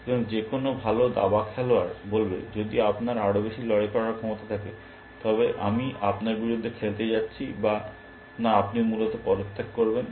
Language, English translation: Bengali, And then any good chess player will say, if you have that much more fighting power, I am not going to play against you or rather you would resigned essentially